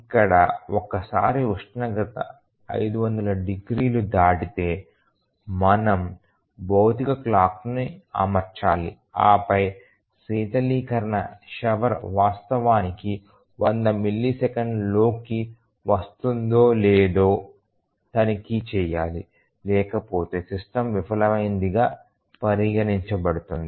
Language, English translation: Telugu, So, here once the temperature exceeds 500 degrees then we need to set a physical clock and then check whether the coolant shower is actually getting on within 100 millisecond otherwise the system would be considered as failed